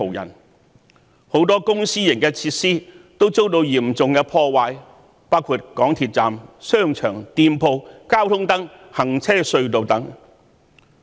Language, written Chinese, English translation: Cantonese, 於是，很多公私營設施都遭到嚴重破壞，包括港鐵站、商場、店鋪、交通燈、行車隧道等。, As a result many public and private facilities have been severely damaged including MTR stations shopping malls shops traffic lights road tunnels etc